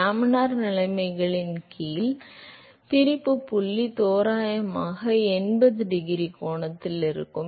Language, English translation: Tamil, Under laminar conditions the separation point is approximately at eighty degree angle